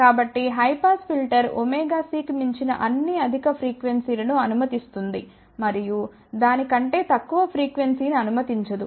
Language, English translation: Telugu, So, high pass filter passes all the higher frequencies beyond omega c and does not pass any frequency below that